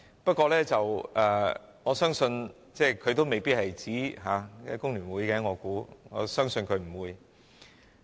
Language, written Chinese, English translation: Cantonese, 不過，我相信他也未必是指工聯會，亦相信他不會。, But I think he might not be referring to FTU . I believe he would not be referring to it